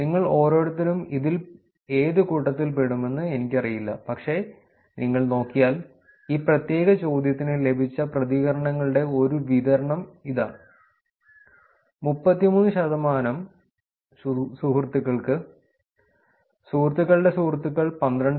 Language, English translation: Malayalam, I do not know where each of you will fit in, but if you look at it, here is a distribution of responses that was got for this particular question 33 percent to friends, friends of friends is 12